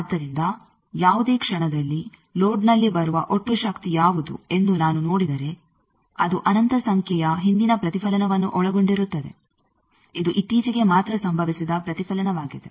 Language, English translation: Kannada, So, at any instant, if I see that what is the total power that is coming at the load it is consisting of infinite number of previous reflection, the most recent reflection that happened only